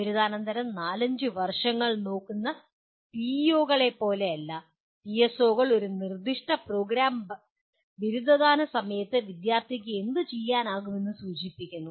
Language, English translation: Malayalam, Unlike PEOs where we are looking at four to five years after graduation, here PSOs represent what the student should be able to do at the time of graduation from a specific program